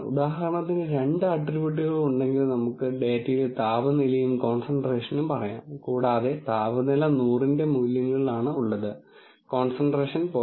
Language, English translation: Malayalam, So, for example, if there are two attributes, let us say in data temperature and concentration, and temperatures are in values of 100, concentrations are in values of 0